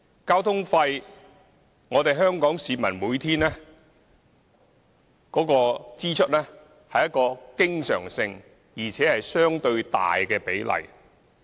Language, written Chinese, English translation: Cantonese, 交通費是香港市民每天的經常性支出，而且佔支出相對大的比例。, Public transport fare is the recurrent daily living expenses of the general public and accounts for a relatively large proportion of their spending